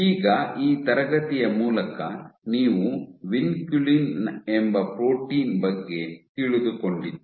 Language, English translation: Kannada, So, by now through this class you have got to know about protein called vinculin